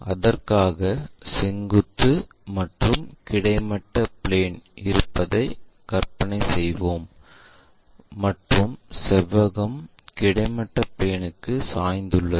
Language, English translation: Tamil, So, for that let us visualize that we have something like a vertical plane, there is a horizontal plane and our rectangle is inclined to horizontal plane